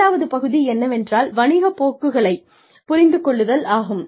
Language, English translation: Tamil, The second part is, understand the business trends